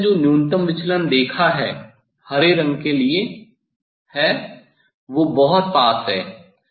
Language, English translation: Hindi, earlier minimum deviation whatever I have seen that is for green the they are very closed